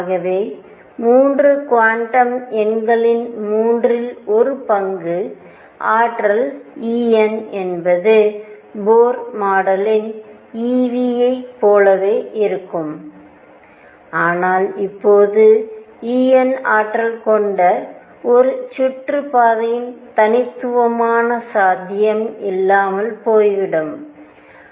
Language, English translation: Tamil, So, we found 3 quantum numbers third the energy E n comes out to be exactly the same as Bohr model e v, but now the possibility of an orbit having energy E n being unique is gone